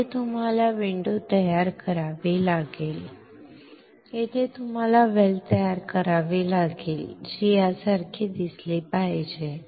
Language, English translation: Marathi, Here you have to create the window here you have to create the well which should look similar to this